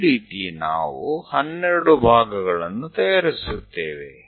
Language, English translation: Kannada, Here we are going to make 12 parts